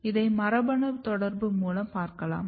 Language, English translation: Tamil, This you can also see by the genetic interaction